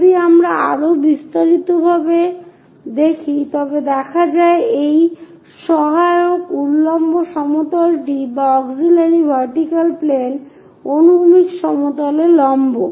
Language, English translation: Bengali, If we are looking at more details this auxiliary vertical plane perpendicular to horizontal plane